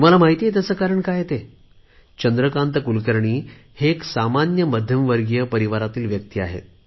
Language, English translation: Marathi, Shri Chandrakant Kulkarni is an ordinary man who belongs to an average middle class family